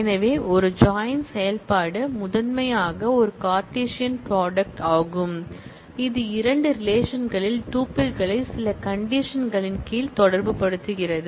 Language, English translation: Tamil, So, a join operation, is primarily a Cartesian product, which relates tuples in two relations under certain conditions of match